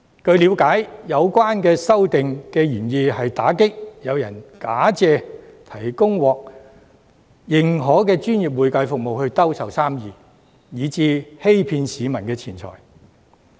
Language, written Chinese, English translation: Cantonese, 據了解，有關修訂的原意，是要打擊有人假借提供獲認可的專業會計服務來兜售生意，欺騙市民的錢財。, It is understood that the amendments are intended to crack down on hawking of business by claiming to provide professional accounting service to defraud money from the public